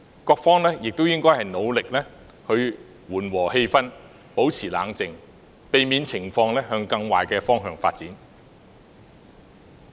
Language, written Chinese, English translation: Cantonese, 各方亦應努力緩和氣氛，保持冷靜，避免情況向更壞的方向發展。, Each party should make an effort to ease the atmosphere stay calm and prevent the situation from worsening